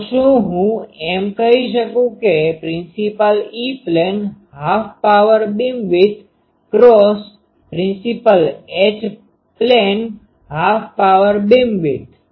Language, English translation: Gujarati, So, can I say that principal E plane half power beamwidth into principal H plane half power beamwidth